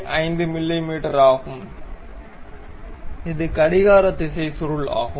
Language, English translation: Tamil, 5 mm, and this is a clockwise kind of helix